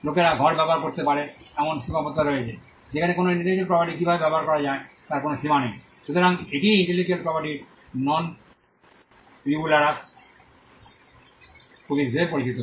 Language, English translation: Bengali, There are limits to which people can use a room, whereas there are no limits to how an intellectual property can be used, so this is what is referred as the non rivalrous nature of intellectual property